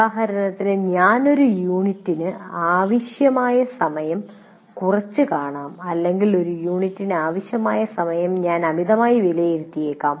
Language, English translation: Malayalam, For example, I might be underestimating the time required for a unit or I have overestimated the time required for a unit and so on